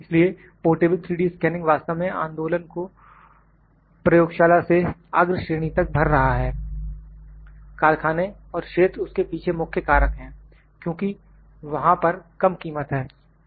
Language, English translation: Hindi, So, portable 3D scanning is actually filling the movement from laboratory to the front lines, factory and field, followed by key factors and because there are low cost